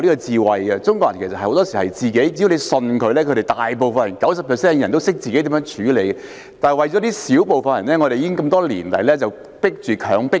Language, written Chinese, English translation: Cantonese, 對於中國人，很多時候，只要相信他們，有 90% 的人都懂得自行處理，但為了小部分人，我們多年來被迫實行"強迫金"。, As far as Chinese people are concerned it is often the case that 90 % of them know how to take care of things on their own as long as they are trusted . By contrast it is just for the sake of a small number of people that we have been forced to implement the Dictatory Provident Fund for many years